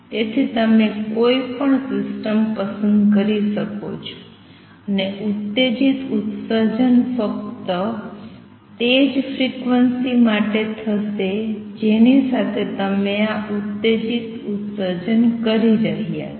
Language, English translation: Gujarati, So, you can choose any system and the stimulated emission will take place only for that particular frequency with which you are doing this stimulated emission